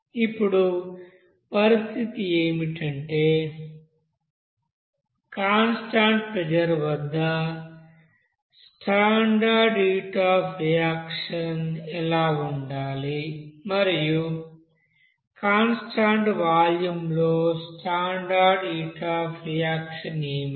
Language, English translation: Telugu, Now the condition is that in this case what should be the standard heat of reaction at constant pressure and also what should the standard you know heat of reaction or heat of reaction at constant volume